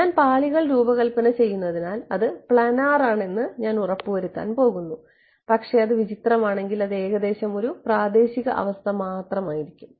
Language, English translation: Malayalam, Because I am designing of the layer, so I am going to I make sure that is planar ok, but if it is weird then it is weird then it will only be a local condition approximately too